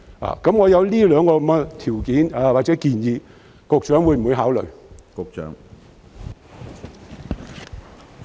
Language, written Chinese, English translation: Cantonese, 我提出的這兩項條件或建議，局長會否考慮？, Will the Secretary consider these two conditions or suggestions put forward by me?